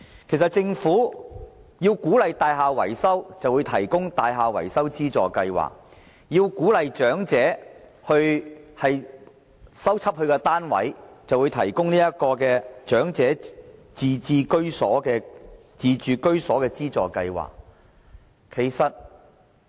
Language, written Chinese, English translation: Cantonese, 其實政府為鼓勵業主進行大廈維修，便推出了樓宇維修綜合支援計劃，為鼓勵長者修葺單位，就推出了長者維修自住物業津貼計劃。, As a matter of fact the Government implemented the Integrated Building Maintenance Assistance Scheme to encourage owners to carry out building maintenance works; and launched the Building Maintenance Grant Scheme for Elderly Owners to encourage elderly owners to maintain their flats